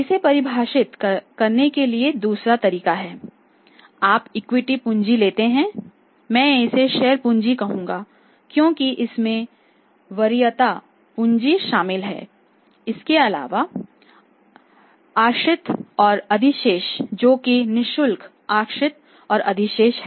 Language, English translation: Hindi, Second way of defining this that you take the equity capital equity capital or you can say not Capital I will call it as this is Share Capital because it includes the preference capital also share capital sorry share capital plus the reserve and surplus that is free reserves and surplus so it is also the net worth